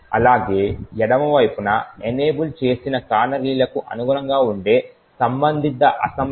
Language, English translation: Telugu, While on the left side shows the corresponding assembly code that gets complied with canaries enabled